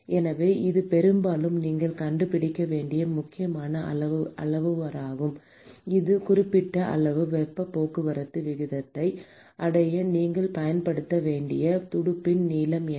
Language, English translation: Tamil, So, this is often an important parameter that you have to find: what is the length of the fin that you have to use in order to achieve a certain amount of heat transport rate